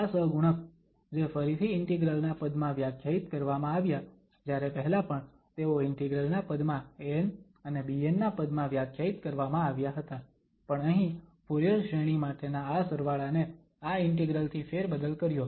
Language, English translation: Gujarati, These coefficients which are defined again in terms of integral whereas earlier also it was in terms of these an and bn were defined terms of the integral, but this summation here for the Fourier series is replaced by this integral